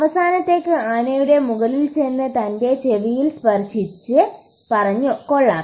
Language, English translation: Malayalam, The last one went on top of the elephant and said, and touched its ears and said, Wow